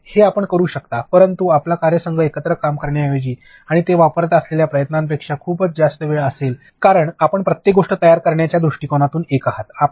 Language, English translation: Marathi, It yes you can, but your time would be a way lot more than a team working together and also the effort that they are putting it, because you would be a one standpoint for creation of everything